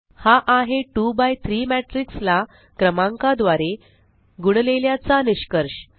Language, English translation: Marathi, So there is the product of multiplying a 2 by 3 matrix by a number